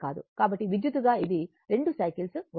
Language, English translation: Telugu, So, electrically, it will be 2 cycles right